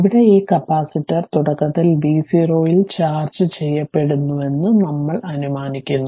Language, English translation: Malayalam, But, we assume that this capacitor initially was charge at v 0